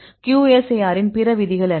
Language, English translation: Tamil, So, then what are the various rules of QSAR